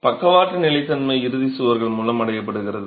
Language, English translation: Tamil, The lateral stability is achieved through the end walls